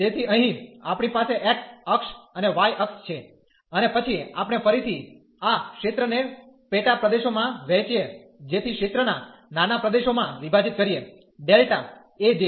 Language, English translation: Gujarati, So, here we have x axis and the y axis and then we divide again this region into sub regions so into a smaller regions of area delta A j